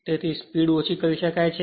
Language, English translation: Gujarati, So, in that way speed can be reduced right